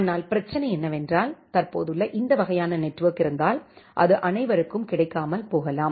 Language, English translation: Tamil, But the problem is that if this kind of existing network it may not be available for everyone